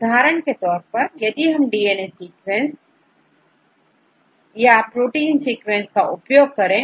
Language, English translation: Hindi, For example, we can use we can use DNA sequences or you can use protein sequences